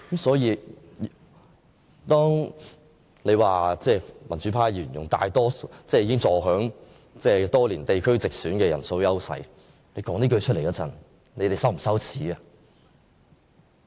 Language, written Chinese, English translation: Cantonese, 因此，當他們說民主派議員多年坐享地區直選的人數優勢時，他們會否覺得羞耻？, This is as simple as that . Actually do they feel a sense of shame in saying that the democrats have got the upper hand in the geographical direct election for years?